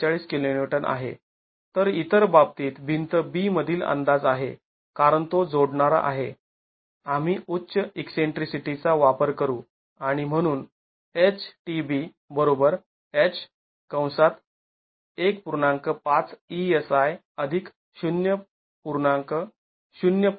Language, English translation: Marathi, 42 meters whereas the estimate in the other case wall B since it is additive we use the higher eccentricity and therefore H into 1